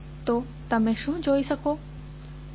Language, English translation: Gujarati, So, what you can see